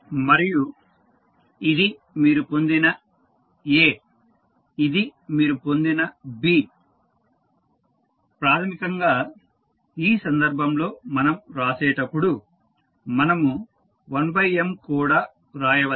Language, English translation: Telugu, And this is the A which you have got, this is B which you have got basically in this case when we write we can write 1 by M also or you can take M out also